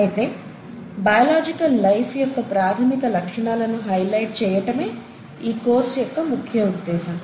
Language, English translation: Telugu, However, the whole idea of this course is to essentially highlight the basic features of biological life